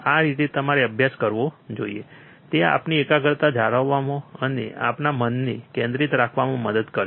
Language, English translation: Gujarati, That is how you should study, it will help to keep our concentration and keep our mind focus